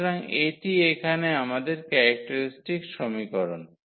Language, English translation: Bengali, So, that is our characteristic equation here